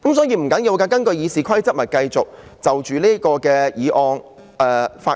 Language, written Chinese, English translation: Cantonese, 因此，不要緊，根據《議事規則》，大家可以繼續就這項議案發言。, Well never mind in accordance with the Rules of Procedure all Members can speak on this motion